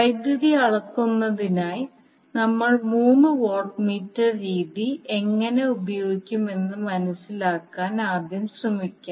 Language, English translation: Malayalam, Let us first try to understand how we will use three watt meter method for power measurement